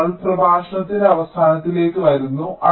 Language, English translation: Malayalam, so with this we come to the end of the lecture